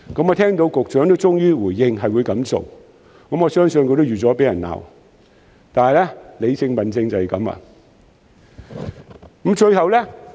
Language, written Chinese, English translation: Cantonese, 我聽到局長終於回應會這樣做，我相信他已料到會被市民責罵，但理性問政就是這樣。, I heard that the Secretary has finally heeded the advice and I believe he would have expected criticisms from the public . But this is what rational governance is like